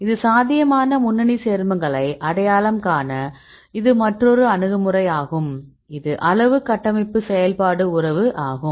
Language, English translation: Tamil, So, this is another approach to identify the potential lead compound is quantitative structure activity relationship